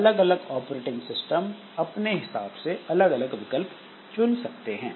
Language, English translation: Hindi, So, different operating systems they will follow different type of different type of options